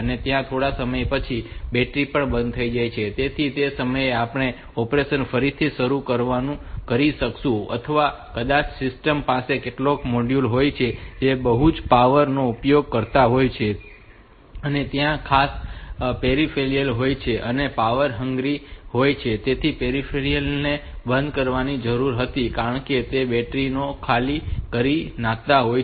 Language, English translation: Gujarati, So, that after sometime the battery will also go off so at that time I we will be able to restart the operation from the from that point onwards, so or maybe the system has got some modules which are power hungry particular peripherals their power hungry and those peripherals had to be shutoff they take along the battery